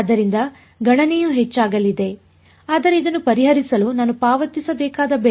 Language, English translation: Kannada, So, computation is going to increase, but that is a price that I have to pay for solving this